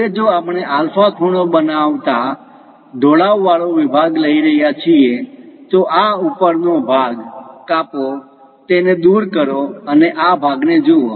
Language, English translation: Gujarati, Now if we are taking an inclined section making an angle alpha, remove this top portion, remove it and visualize this part